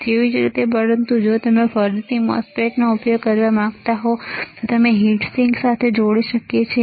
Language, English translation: Gujarati, Similarly, but if you want to use the MOSFET again, we can connect it to heat sink